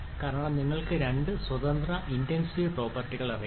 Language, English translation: Malayalam, Because you know 2 independent intensive properties remember in the mixture